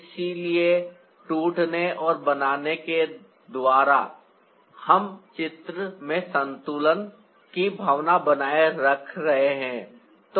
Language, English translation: Hindi, so by breaking and creating, we are maintaining the sense of balance in the picture